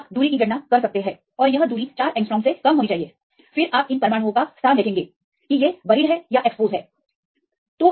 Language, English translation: Hindi, You can calculate the distance and the distance should be less than 4 angstrom and then see the location of these atoms; whether it is buried or it is exposed